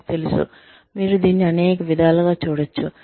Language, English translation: Telugu, I know, you can see it in many ways